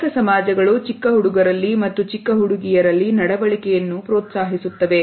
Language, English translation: Kannada, Many societies for example encourage certain behavior in young boys and in young girls